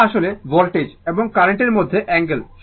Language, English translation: Bengali, Theta actually angle between the voltage and current right